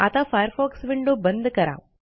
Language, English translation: Marathi, Now close this Firefox window